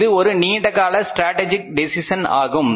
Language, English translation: Tamil, That is a long term strategic decision